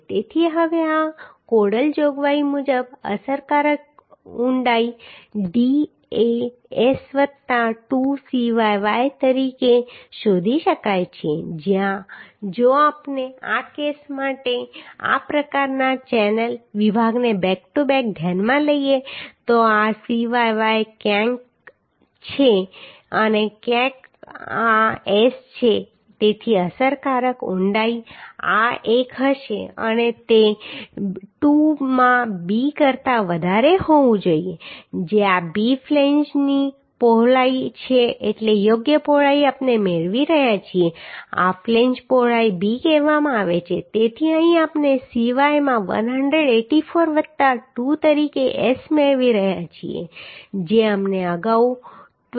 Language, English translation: Gujarati, 2 it is given So now the as per this codal provision the effective depth d can be found as S plus 2 Cyy where if we consider such type of channel section back to back for this case then this is Cyy somewhere here Cyy and this is S so the effective depth will be this one and it should be greater than 2 into b where b is the flange width means suitable width we are getting this flange width is called b so here we are getting S as 184 plus 2 into Cyy we found earlier 23